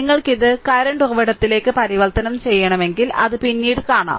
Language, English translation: Malayalam, If you want to convert it to current source, later we will see